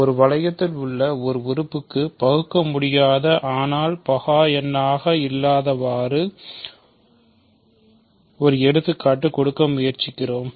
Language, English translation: Tamil, We are trying to give an example of an element in a ring which is irreducible, but not prime